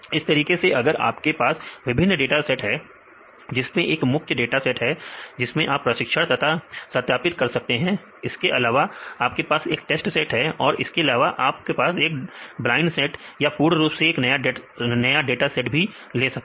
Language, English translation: Hindi, Likewise if you have the different data sets one is your main dataset that you can train and validate the data and you have a test set and also you can use the blind data that is completely new